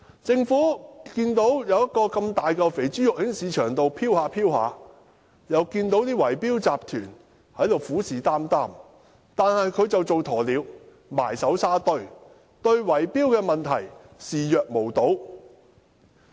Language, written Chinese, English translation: Cantonese, 政府看到市場上出現這麼一大塊"肥豬肉"，又看到圍標集團虎視眈眈，卻只當鴕鳥，埋首沙堆，對圍標問題視若無睹。, Seeing such a big cash cow in the market and noting that it is coveted by bid - rigging syndicates the Government is just like an ostrich having buried its head in the sand turning a blind eye to the bid - rigging problem